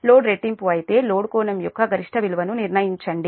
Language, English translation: Telugu, but if the load is doubled, determine the maximum value of the load angle